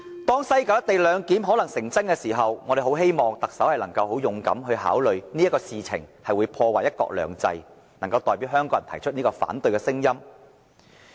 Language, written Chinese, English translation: Cantonese, 當西九"一地兩檢"可能成真的時候，我們很希望特首考慮到這事情會破壞"一國兩制"，能夠很勇敢地代表香港人提出反對聲音。, When the co - location arrangement in West Kowloon is likely to be materialized we earnestly hope that the Chief Executive can bravely voice out the objection of Hong Kong people considering this arrangement will undermine one country two systems